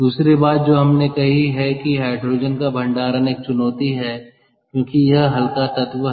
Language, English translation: Hindi, the other thing that we said is storage of hydrogen is a challenge because ah its light element, so it requires large volumes